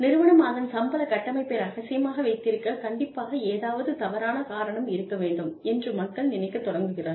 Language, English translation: Tamil, And, so people start thinking, something must be wrong, for the organization, to keep its salary structure secret